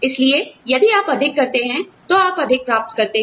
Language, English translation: Hindi, So, if you do more, you get more